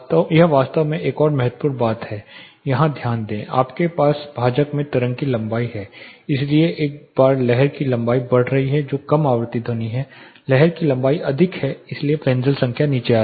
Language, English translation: Hindi, This actually another important thing to note here, you have the wave length in the denominator so once the wave length is increasing that is low frequency sound wave length is higher the Fresnel number comes down